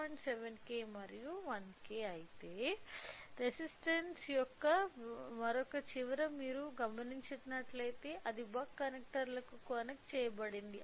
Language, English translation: Telugu, 7K and 1K whereas, other end of the resistance if you noticed it is you know connected to the buck connectors